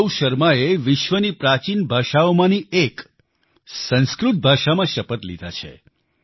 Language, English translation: Gujarati, Gaurav Sharma took the Oath of office in one of the ancient languages of the world Sanskrit